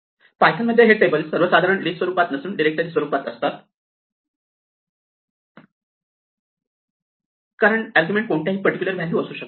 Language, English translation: Marathi, This table in general in python would be a dictionary and not a list because the arguments could be any particular values